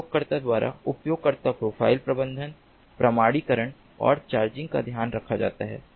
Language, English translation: Hindi, user profile management, authentication and charging are taken care of by the user